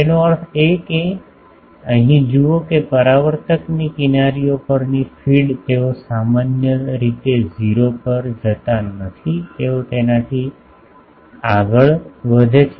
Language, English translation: Gujarati, That means, look at here that, the feed at the edges of the reflector they generally do not go to 0 they goes beyond that